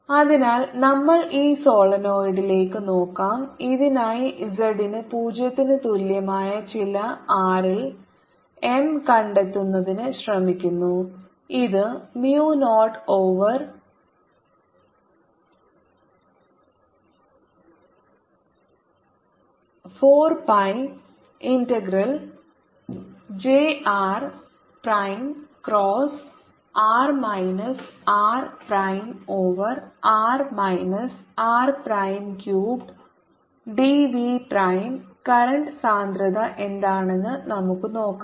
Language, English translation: Malayalam, so let's see, we are looking at this solenoid and we are trying to find d for this at z equal to zero, at some r which is equal to mu, zero over four pi integral j r prime cross r minus r prime over r minus r prime, cubed d v prime